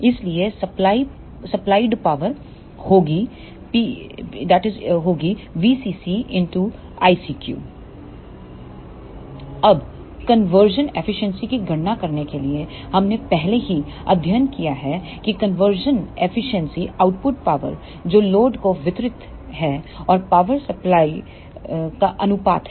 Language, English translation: Hindi, Now, to calculate the conversion efficiency we have already studied that the conversion efficiency is the ratio of the output power delivered to the load and the supply power